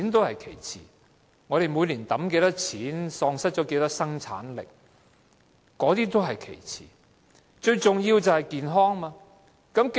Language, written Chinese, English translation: Cantonese, 香港每年要花多少錢或喪失多少生產力是其次，最重要的是市民的健康。, The expenditure incurred by Hong Kong or the scale of its productivity loss every year is my secondary concern . The most important consideration of all is peoples health